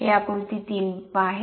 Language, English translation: Marathi, This is actually figure 3, this is actually figure 3